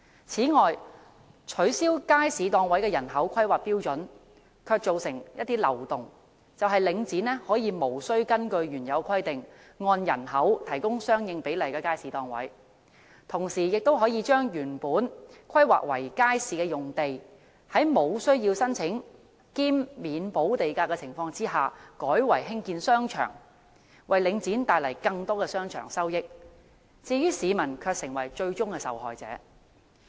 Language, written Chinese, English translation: Cantonese, 此外，取消街市檔位按照人口釐定的標準卻造成漏洞，就是領展可以無須根據原有規定，按人口提供相應比例的街市檔位，同時亦可將原來規劃為街市的用地，在無須申請兼免補地價的情況下，改為興建商場，為領展帶來更多商場收益，但市民卻成為最終受害者。, Link REIT has thus exploited such loopholes by not providing market stalls proportionate to the population as originally specified . It has also constructed shopping centres on sites originally earmarked for markets without having to apply or pay premium . While the shopping centres will generate more revenues for Link REIT the public will ultimately be victimized